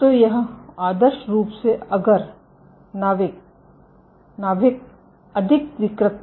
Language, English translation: Hindi, So, this is ideally if the nucleus was more deformable